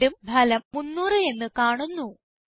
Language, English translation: Malayalam, Notice the result shows 300